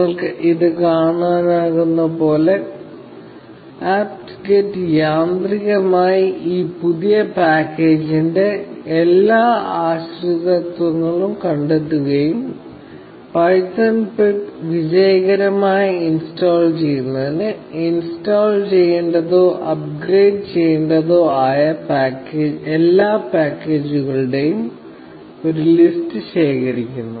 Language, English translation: Malayalam, So, as you can see here, apt get automatically finds out all the dependencies for this new package, and gathers a list of all the packages that would need to be installed, or upgraded, to successfully install python pip